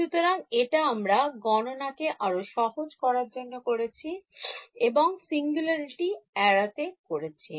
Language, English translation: Bengali, So, this, but to make math simpler we had done this to avoid singularity